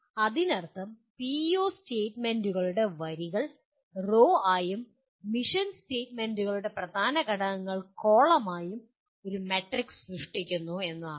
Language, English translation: Malayalam, That means you create a matrix with PEO statements as the rows and key elements of the mission statements as the columns